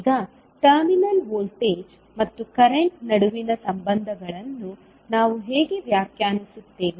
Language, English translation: Kannada, Now, how we will define the relationships between the terminal voltages and the current